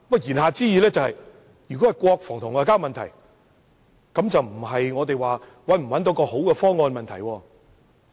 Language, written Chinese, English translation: Cantonese, 言下之意，如果是國防和外交問題，便不再是能否找到好方案的問題。, He may imply that when it is an issue related to national defence and foreign affairs it will no longer be a simple question of whether a good option can be identified